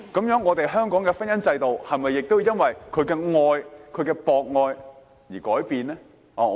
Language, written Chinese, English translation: Cantonese, 那麼，香港的婚姻制度是否也要由於他的博愛而改變呢？, In that case should we change Hong Kongs marriage institution to cater for their polyamorous needs?